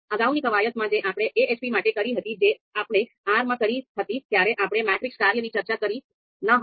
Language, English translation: Gujarati, So in the last exercise for AHP that we did in R, we did not talk about we did not talk much about the matrix function